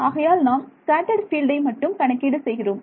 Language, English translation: Tamil, So I am only calculating the scattered field